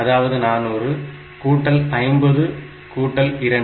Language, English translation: Tamil, That way it is 400 plus 50 plus 2